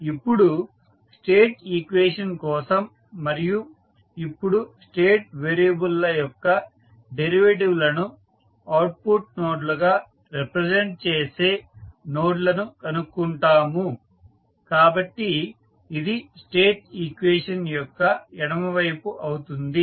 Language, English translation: Telugu, Now, for the state equation we find the nodes that represent the derivatives of the state variables as output nodes, so this will become the left side of the state equation